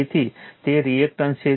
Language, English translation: Gujarati, So, it is reactance